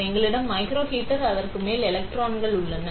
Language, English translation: Tamil, So, we have a microheater and electrons on top of it